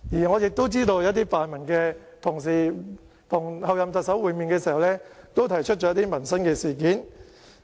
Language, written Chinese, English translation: Cantonese, 我知道一些泛民同事跟候任特首會面的時候，也提出了一些民生事項。, As I know some pan - democratic Members have also raised some livelihood issues during the meeting with the Chief Executive - elect